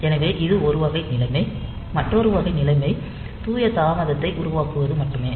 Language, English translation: Tamil, So, this is one type of situation, another type of situation is just to produce pure delay